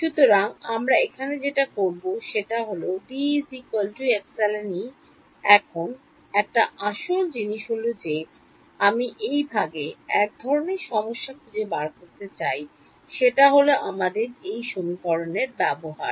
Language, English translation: Bengali, Now one of the main things that I want to sort of challenge in this section is our use of this equation